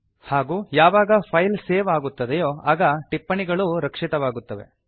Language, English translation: Kannada, And when the file is saved, the comments are incorporated